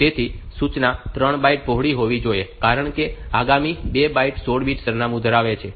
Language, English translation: Gujarati, So, the instruction has to be 3 byte wide, because the next 2 bytes will be holding the 16 bit address